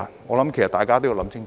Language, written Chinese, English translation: Cantonese, 我想大家都要想清楚。, I believe we must think about it clearly